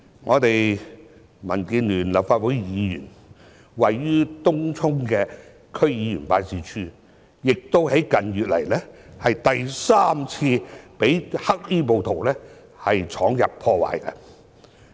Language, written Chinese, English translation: Cantonese, 一位民建聯立法會議員位於東涌的區議員辦事處，近月亦第三次被黑衣暴徒闖入破壞。, A Legislative Council Member from DAB has set up a DC members office in Tung Chung but it was also broken into and vandalized by black - clad rioters for the third time in recent months